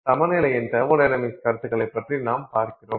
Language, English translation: Tamil, So, as I said, we are looking at thermodynamics talks of equilibrium